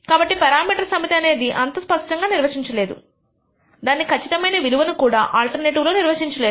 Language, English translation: Telugu, So, the parameter set is undefined very not clearly defined at least exact value is not clearly defined in the alternative